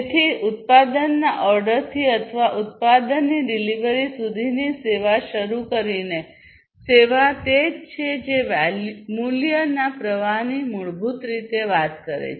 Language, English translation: Gujarati, So, basically starting from the ordering of the product or the service to the delivery of the product or the service is what the value stream basically talks about